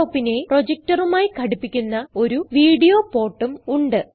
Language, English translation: Malayalam, There is a video port, using which one can connect a projector to the laptop